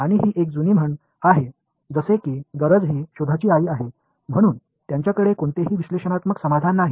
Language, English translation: Marathi, And it is sort of like the old saying that necessity is the mother of invention so they had no analytical solution